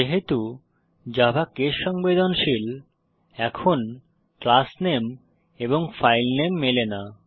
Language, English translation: Bengali, Since Java is case sensitive, now the class name and file name do not match